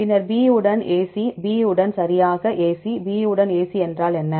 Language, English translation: Tamil, Then AC with B, right AC with B what is AC with B